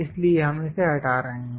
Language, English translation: Hindi, So, we are removing this